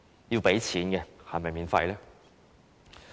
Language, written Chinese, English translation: Cantonese, 要付錢是否免費呢？, Is something which requires payment free?